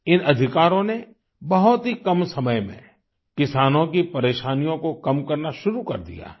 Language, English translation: Hindi, In just a short span of time, these new rights have begun to ameliorate the woes of our farmers